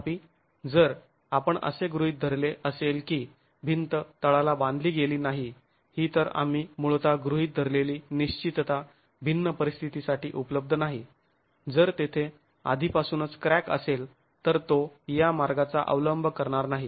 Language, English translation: Marathi, However, if we were to assume that the wall is not bonded at the base, that the fixity that we originally assumed at the base is not available for different conditions, if there is already a crack existing, then it will not follow this root